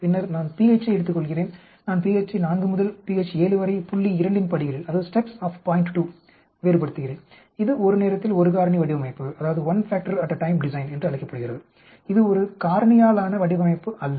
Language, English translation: Tamil, Later on I take pH I vary pH from say pH 4 to pH 7 in steps of point 2, that is called one factor at a time design, that is not a factorial design